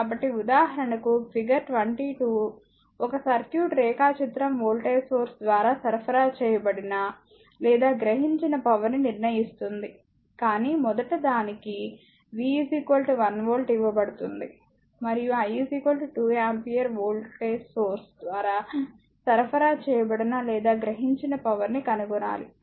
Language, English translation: Telugu, So, for example, figure 22 shows a circuit diagram determine the power supplied or absorbed by the voltage source, but first one it is given V is equal to 1 volt and I is equal to 2 ampere you have to find out that power supplied or absorbed by the voltage source; that means, this voltage source right